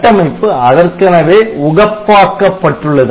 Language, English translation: Tamil, So, architecture is very much optimized towards that